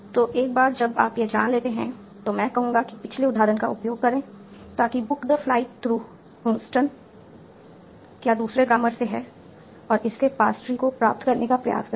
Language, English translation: Hindi, So, now, once you know this, I will say that, use the previous example, so that is book the flight through Houston from the other grammar and try to get its pasture